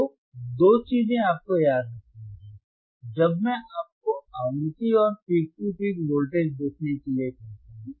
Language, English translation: Hindi, So, two things you have to remember, frequency when I tellalk you to see frequency and the peak to peak voltage